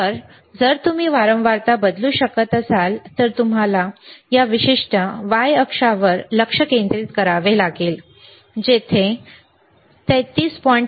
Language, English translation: Marathi, So, again if you can change the say frequency, you see you have to concentrate on this particular the y axis, where it is showing 33